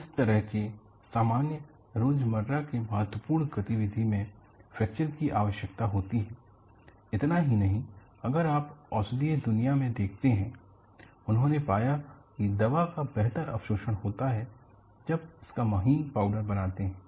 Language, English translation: Hindi, So, such a simple day to day importantactivity requires fractures; not only this, see if you look at the medicinal world, they have found out there is better absorption of the medicine, if it is ground to find particles